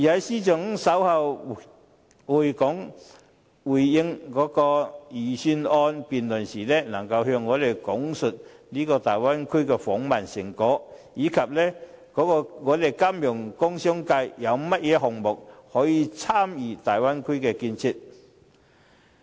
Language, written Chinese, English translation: Cantonese, 司長稍後回應預算案辯論時，亦能夠向我們講述大灣區的訪問成果，以及香港金融工商界有甚麼項目可以參與大灣區的建設。, When the Financial Secretary responds in the Budget debate later he may be able to tell us the results of their visit to the Bay Area as well as the projects that the financial commercial and industrial sectors of Hong Kong may join in the development of the Bay Area